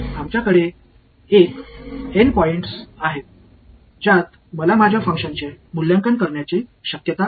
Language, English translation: Marathi, We have N points at which I have a possibility of evaluating my function ok